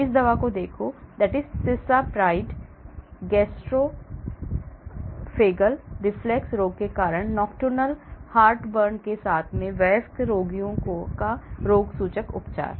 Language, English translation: Hindi, Look at this drug; Cisapride; symptomatic treatment of adult patients with nocturnal heartburn due to gastroesophageal reflux disease